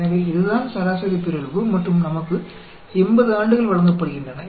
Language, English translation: Tamil, So, this is the average mutation and we are given 80 years